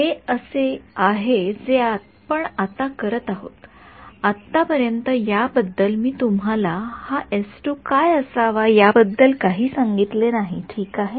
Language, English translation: Marathi, So, this is this is what we do now so, far I have not told you anything about what this s 2 should be ok